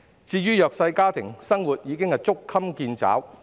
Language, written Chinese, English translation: Cantonese, 至於弱勢家庭，生活已捉襟見肘。, As for disadvantaged families it is already hard for them to make ends meet